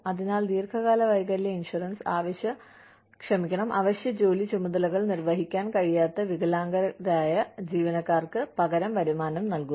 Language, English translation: Malayalam, So, long term disability insurance provides, replacement income to disabled employees, who cannot perform, essential job duties